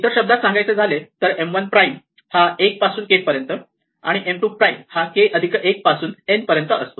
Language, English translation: Marathi, In other words M 1 prime is for some k it is from M 1 all the way up to M k, and M 2 prime is from k plus 1 up to n